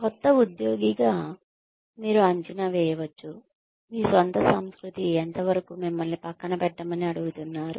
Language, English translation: Telugu, As a new employee, you can assess, how much of your own culture, you are being asked to set aside